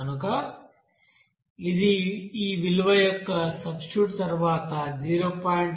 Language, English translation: Telugu, So after substitution of this value, it is coming 0